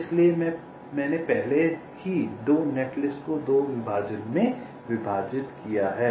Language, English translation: Hindi, so i have already divided two netlist into two partitions